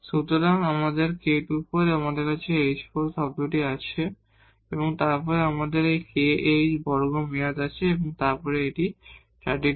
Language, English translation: Bengali, So, the k square by 4 and we have h 4 term and then we have a k h square term and then this is 3 by 2 k square